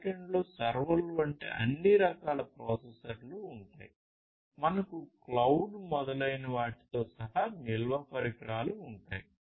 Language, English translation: Telugu, And this back end will would have all kinds of processors like servers; then you will have storage devices including cloud etc etc in the present context